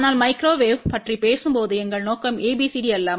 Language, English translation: Tamil, But our objective is not ABCD when we are talking about microwave